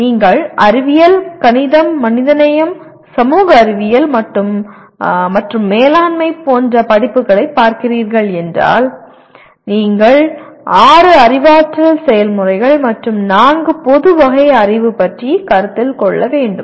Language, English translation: Tamil, So if you are looking at courses in sciences, mathematics, humanities, social sciences and management you need to worry about six cognitive processes and four general categories of knowledge